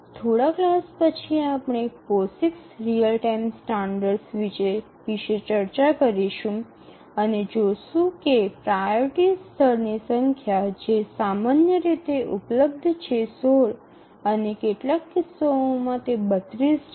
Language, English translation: Gujarati, A little later after a few classes we will look at the POSIX real time standard and we'll see that the number of priority levels that are available is typically 16 and in some cases we'll see that it is 32